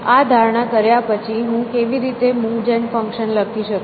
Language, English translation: Gujarati, But, the question is how do I write the move gen function